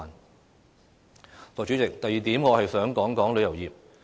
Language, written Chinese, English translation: Cantonese, 代理主席，第二點我想談談旅遊業。, Deputy President the second area I would like to talk about is tourism